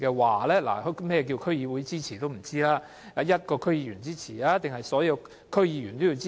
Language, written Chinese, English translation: Cantonese, 我們也不知道，是需要一個區議員支持還是所有區議員的支持？, We do not know . Do they need the support of a DC member or all DC members?